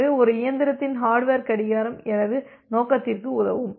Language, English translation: Tamil, So, the hardware clock of a single machine will serve my purpose